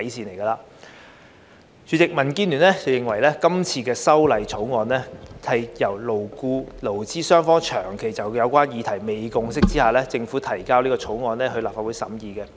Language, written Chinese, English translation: Cantonese, 代理主席，民建聯認為，這項《條例草案》是在勞資雙方長期就有關議題未有共識下，政府自行提交給立法會審議的。, Deputy President DAB holds that this Bill is introduced by the Government on its own initiative for consideration by the Legislative Council in view of the long - standing failure of employers and employees to reach a consensus